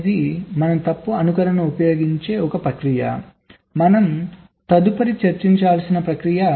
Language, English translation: Telugu, so fault dropping is a process where we use fault simulation is a process we shall be discussing next